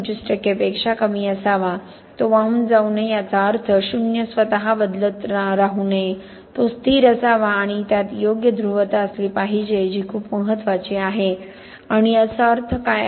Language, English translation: Marathi, 25% of the transducer range, it should not drift, meaning that the zero should not keep on changing by itself, it should be stable and it should have the right polarity, this is very very important and what does this mean